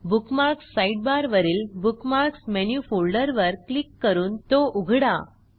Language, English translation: Marathi, From the Bookmarks Sidebar, click on and open the Bookmarks Menu folder